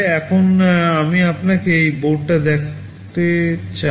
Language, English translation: Bengali, Now, let me show you this board